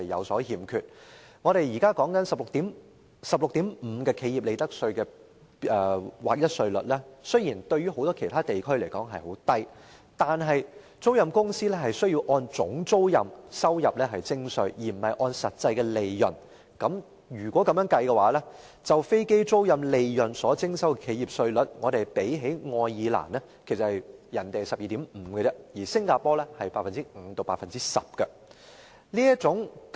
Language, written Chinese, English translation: Cantonese, 雖然，我們現時 16.5% 的企業利得稅劃一稅率較許多其他地區為低，但租賃公司是按總租賃收入而非實際利潤徵稅，如此的話，本港就飛機租賃利潤所徵收企業稅的稅率較愛爾蘭的 12.5% 及新加坡的 5% 至 10% 為高。, The corporate profits tax in Hong Kong is set at a flat rate of 16.5 % which is lower than those in many other jurisdictions . But aircraft leasing companies are assessed on their income from gross lease payments instead of actual profits . As a result the corporate profits tax rate for aircraft leasing profits in Hong Kong is higher than both the 12.5 % in Ireland and the 5 % - 10 % in Singapore